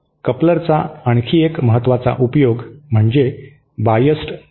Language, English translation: Marathi, One other important application of a coupler is what is known as the biased tee